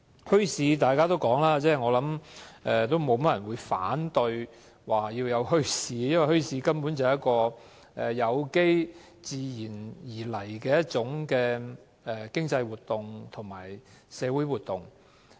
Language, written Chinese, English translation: Cantonese, 應該沒有太多人會反對墟市的存在，因為墟市根本是有機及出於自然的一種經濟及社會活動。, I presume not many people will oppose the existence of bazaars because they are basically a kind of organic and natural economic and social activity